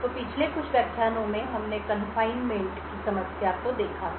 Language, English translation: Hindi, So, in the previous couple of lectures we had looked at a problem of confinement